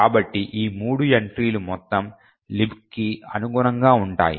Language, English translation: Telugu, So, these three entries correspond to the entire LibC